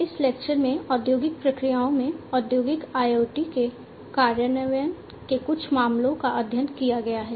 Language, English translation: Hindi, Now, in this lecture, we will go through some of the case studies of the implementation of Industrial IoT in the industrial processes